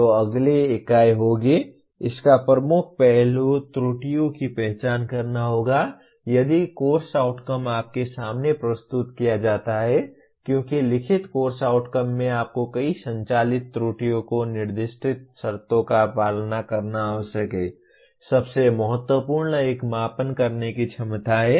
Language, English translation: Hindi, So the next unit will, the dominant aspect of it is identifying the errors if any in course outcomes presented to you because in writing course outcomes you are required to follow several operate errors specified conditions, most important one being measurability